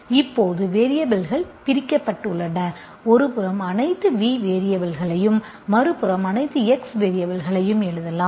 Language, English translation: Tamil, Now the variables are separated, you can write one side all the V variables, on the other side all the x variables